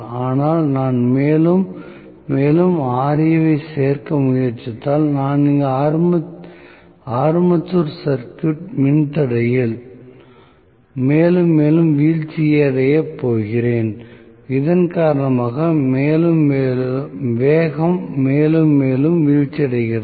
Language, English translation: Tamil, But if I try to include more and more Ra, I am going to have more and more drop in the armature circuit resistance here, because of which the speed is falling more and more